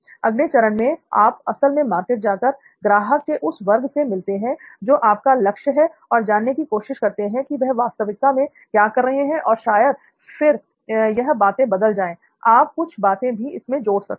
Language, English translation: Hindi, The next is to actually go into the market with your target segment and see what do they actually do and then these things may change, you may add a few things also, ok